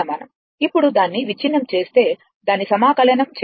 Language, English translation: Telugu, Now, you just break it and just you integrate it